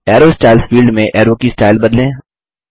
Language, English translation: Hindi, Under the Arrow Styles field, change the arrow styles